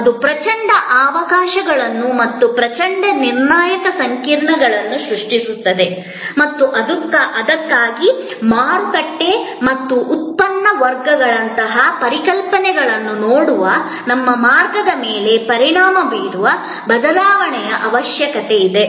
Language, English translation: Kannada, And that is creating tremendous opportunities as well as tremendous critical complexities and that is what, therefore necessitates the change to impact our way of looking at concepts like market and product categories